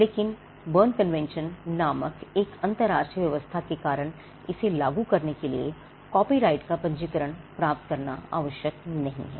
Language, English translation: Hindi, But because of an international arrangement called the Berne convention it is not necessary to get a registration of a copyright to enforce it